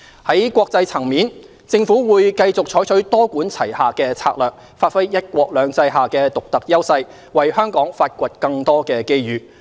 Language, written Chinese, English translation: Cantonese, 在國際層面，政府會繼續採取多管齊下的策略，發揮"一國兩制"下的獨特優勢，為香港發掘更多機遇。, At the international level the Government will continue to adopt a multi - pronged strategy to explore more opportunities for Hong Kong leveraging on our unique advantages under one country two systems